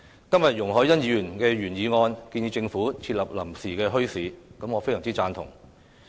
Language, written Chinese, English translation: Cantonese, 今天，容海恩議員的原議案建議政府設立臨時墟市，我非常贊同。, Today Ms YUNG Hoi - yans original motion proposed the setting up of bazaars by the Government and this I very much support